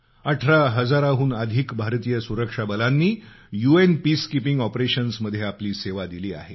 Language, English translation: Marathi, More than 18 thousand Indian security personnel have lent their services in UN Peacekeeping Operations